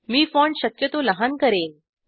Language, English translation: Marathi, Let me make the font size likely smaller